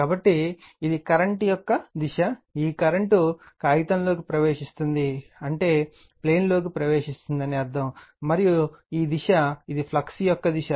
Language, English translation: Telugu, So, this is this is the direction of the current, this flux means that your current is entering into the into on the on the paper right that mean in the plane, and this direction this is the direction of the flux